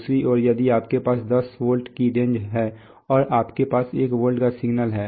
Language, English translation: Hindi, On the other hand if you have a, suppose you have a 10 volts range and you have a 1 volt signal